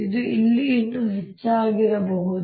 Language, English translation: Kannada, it could be even more out here